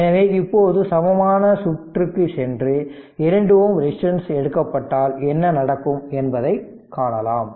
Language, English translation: Tamil, So, in this case what will happen that 2 ohm resistance is taken off